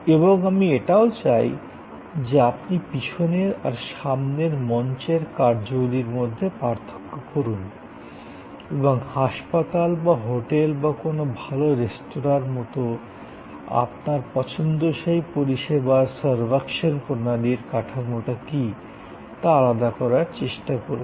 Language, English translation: Bengali, And I would like also, that you try to distinguish that, what are the back stage functions, what are the front stage functions and what is the architecture of the servuction system of your choosing service like the nursing home or like the hotel or like a good restaurant